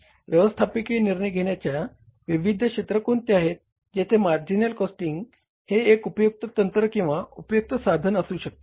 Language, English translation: Marathi, Where it can be used, how it can be used, what are the different areas of the management decision making where the marginal costing can be a useful technique or the useful tool